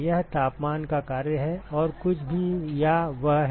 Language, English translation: Hindi, It is function of temperature and anything else or that is it